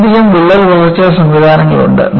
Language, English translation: Malayalam, There are many crack growth mechanisms